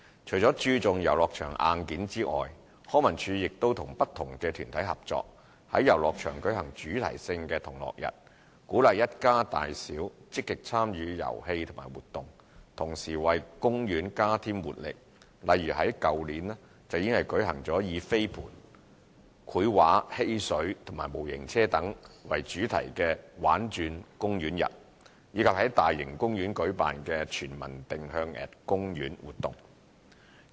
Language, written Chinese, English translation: Cantonese, 除了注重遊樂場硬件外，康文署亦與不同團體合作，在遊樂場舉行主題性的同樂日，鼓勵一家大小積極參與遊戲和活動，同時為公園加添活力，例如去年舉行以飛盤、繪畫、嬉水和模型車等為主題的"玩轉公園日"，以及在大型公園舉辦的"全民定向＠公園"活動。, In addition to focusing on the hardware of playgrounds LCSD also organizes themed fun days in playgrounds with various organizations to encourage active participation by families in games and activities thereby energizing public parks . Activities organized last year included Storm the Park Days featuring frisbee painting water play model car etc . and Orienteering@Park in large public parks